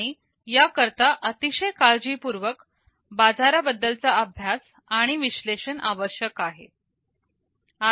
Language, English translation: Marathi, And this requires very careful market study and analysis